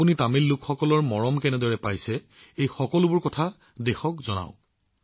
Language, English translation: Assamese, You were showered with the the love of Tamil people, tell all these things to the country